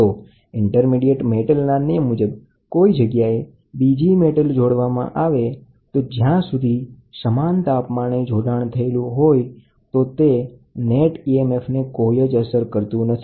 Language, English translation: Gujarati, So, the law of intermediate metal, if an intermediate metal is inserted into a thermocouple circuit at any point, the net emf will not be affected provided the two junctions introduced by the third metal are at identical temperatures